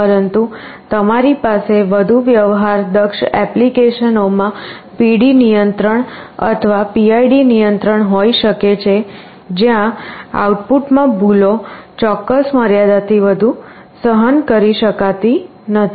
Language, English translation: Gujarati, But you can have PD control or PID control in more sophisticated applications, where errors in the output cannot be tolerated beyond the certain limit